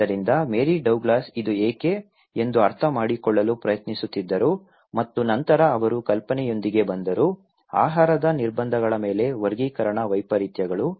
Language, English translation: Kannada, So, Mary Douglas was trying to understand why this is so and then she came up with the idea, taxonomic anomalies on dietary restrictions